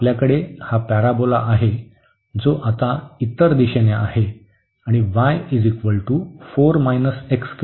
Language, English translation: Marathi, So, we have this parabola which is other direction now y is equal to 4 minus x square